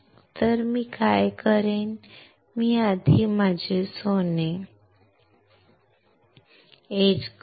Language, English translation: Marathi, So, what I will do is, I will first etch my gold first